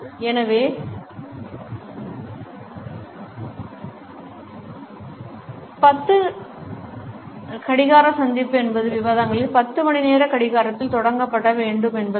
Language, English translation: Tamil, So, 10 O clock meeting means that the discussions have to begin at 10 o clock